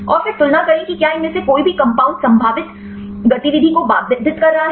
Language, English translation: Hindi, And then compare whether any of these compounds are potentially inhibiting the activity